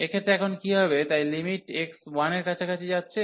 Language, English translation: Bengali, In this case what will happen now, so limit x approaching to 1